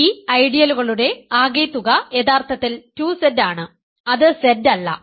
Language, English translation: Malayalam, The sum of these ideals is actually 2Z and it is not Z